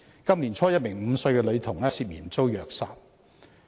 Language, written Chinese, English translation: Cantonese, 今年年初，一名5歲女童涉嫌遭虐殺。, At the beginning of this year a five - year - old girl was suspected to have been abused to death